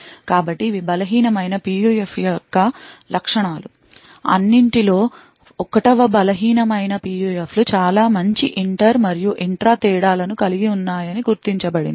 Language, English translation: Telugu, So, these are the properties of weak PUFs, 1st of all it has been noticed that weak PUFs have very good inter and intra differences